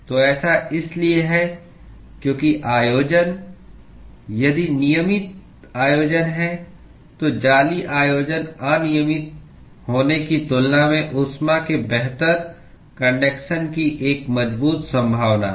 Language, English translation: Hindi, So, that is because the arrangement if there is regular arrangement, then there is a strong potential for conducting heat better than if there is lattice arrangement is irregular